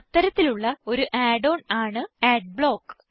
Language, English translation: Malayalam, One such add on is Adblock